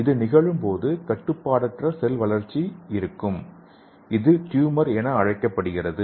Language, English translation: Tamil, So due to this, what happens is there will be an uncontrolled cell growth, so that is called as tumor